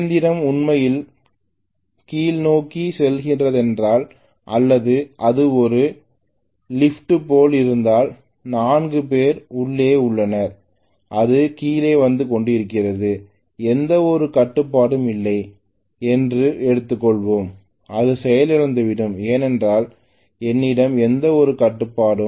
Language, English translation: Tamil, If the machine is actually going downhill, the vehicle is going downhill or if it is like an elevator, 4 people have gotten in, it is coming down there is hardly any control let us say, it will just go crash that is what will happen if I do not have any control